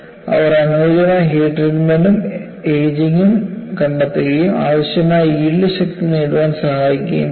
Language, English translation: Malayalam, So, they find suitable heat treatment and ageing can help to achieve the required yield strength